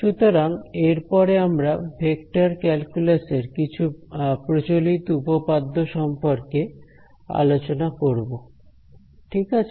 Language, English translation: Bengali, So, moving on, we will talk about some Common Theorems in Vector Calculus ok